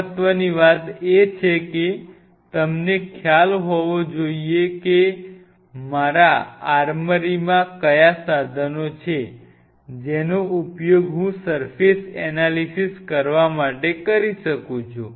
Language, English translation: Gujarati, What is important is that you should have an idea that what all tools are there in my armory, which I can use to analyze surfaces